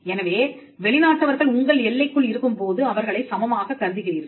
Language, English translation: Tamil, So, you treat foreigners as equals when they are within your territory